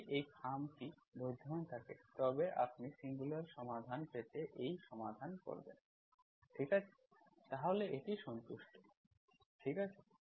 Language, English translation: Bengali, If envelope exists, is this envelop exists, then you solve this to get the singular solution, okay, then this is satisfied, okay